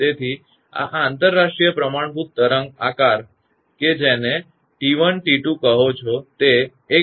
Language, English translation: Gujarati, So, this is the international the standard wave shape that is they call it T 1 into T 2; it is 1